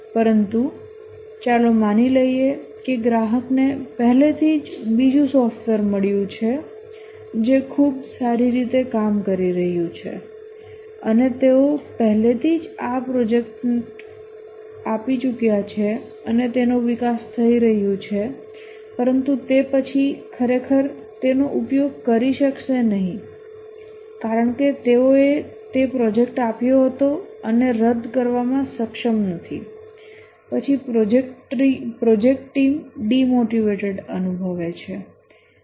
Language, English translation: Gujarati, But let's assume that already the customer has got hold of another software which is working quite well and since they have already given this project it's being developed but then they may not use it actually just because they had given it and not able to cancel then the project team feel demotivated they don don't have the instrumentality